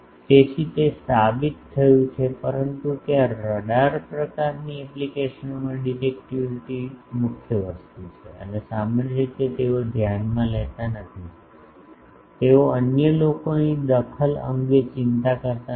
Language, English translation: Gujarati, So, that is proven, but in radar type of applications there the directivity is prime thing and generally they do not consider, they do not bother about the interference from others